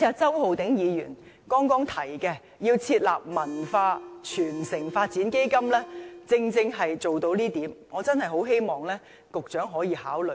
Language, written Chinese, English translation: Cantonese, 周浩鼎議員剛才提出要設立"文化傳承發展基金"，正正可以做到這點，我真的很希望局長可以考慮。, I think Mr Holden CHOWs earlier suggestion of establishing a cultural transmission and development fund can achieve this purpose . I really hope that the Secretary will give due consideration